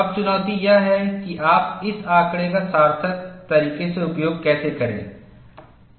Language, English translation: Hindi, Now, the challenge is, how you will utilize this data in a meaningful way